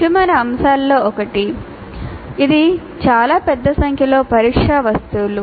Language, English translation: Telugu, So, one of the important points is that it is a fairly large number of test items